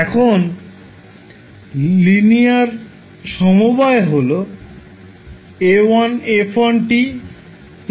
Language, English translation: Bengali, So their linear combination like a1 f1 t plus a2 f2 t